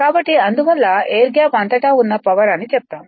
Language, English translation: Telugu, So, that is why you call power across air gap